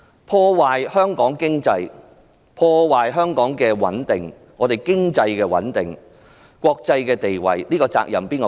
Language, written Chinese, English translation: Cantonese, 破壞了香港的經濟穩定和國際的地位，責任誰負？, When Hong Kongs economic stability and international status are undermined who should bear the responsibility?